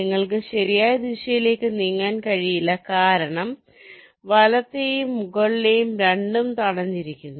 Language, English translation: Malayalam, you cannot move in the right direction because right and top, both are blocked